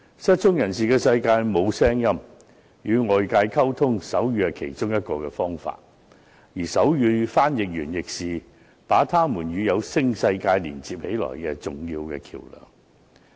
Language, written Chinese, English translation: Cantonese, 失聰人士的世界沒有聲音，要與外界溝通，手語是其中一個方法，而手語傳譯員亦是他們與有聲世界連接的重要橋樑。, In the world of the deaf there is no sound . Sign language is one of the means they use to communicate with the outside world and sign language interpreters are an important bridge that connects them to the world of sounds